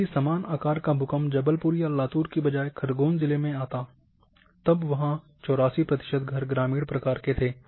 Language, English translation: Hindi, If the similar magnitude earthquake instead of Jabalpur or instead of Latur would have occurred in Khargon then 84 percent of houses where at that time a rural house